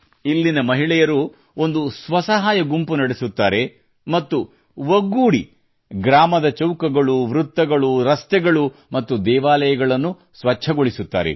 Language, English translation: Kannada, The women here run a selfhelp group and work together to clean the village squares, roads and temples